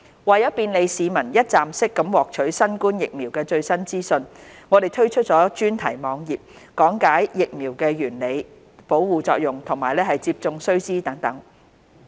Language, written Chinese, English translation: Cantonese, 為便利市民一站式獲取新冠疫苗的最新資訊，我們推出專題網頁，講解疫苗原理、保護作用和接種須知等。, To provide the public a one - stop destination to learn about the latest information on COVID - 19 vaccines we have launched the COVID - 19 Vaccination Programme thematic website to explain the principles of the vaccines their protection and need - to - know facts etc